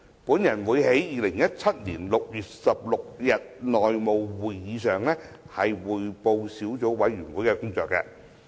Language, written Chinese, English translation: Cantonese, 我會在2017年6月16日的內務委員會會議上匯報小組委員會的工作。, I will report on the work of the Subcommittee at the House Committee meeting on 16 June 2017